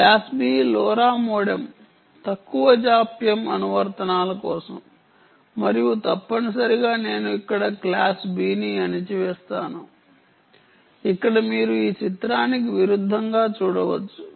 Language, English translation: Telugu, class b, ah lora modem is for low latency applications and um, essentially i put down the ah class b here, where you can see from, in contrasting to this picture